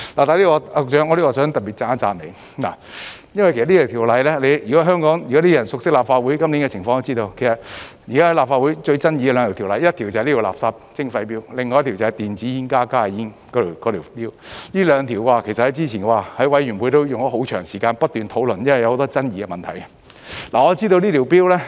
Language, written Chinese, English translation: Cantonese, 局長，在此我想特別讚賞你一下，就着這項《條例草案》，如果香港人熟悉立法會今年的情況，也會知道現時在立法會最有爭議的兩項法案，第一就是這項垃圾徵費 Bill， 另一項便是電子煙、加熱煙的 Bill， 這兩項法案之前在法案委員會都花了很長時間不斷討論，因為有很多爭議問題。, Secretary here I would like to praise you especially . Speaking of this Bill if Hong Kong people are familiar with the situation of the Legislative Council in this year they will know that the two most controversial bills in the Legislative Council nowadays are First this Bill on waste charging; whereas the other one is the bill on electronic cigarettes and heat - not - burn HNB products . We have spent a lot of time on discussing these two bills at the bills committee since they involve a bunch of controversial issues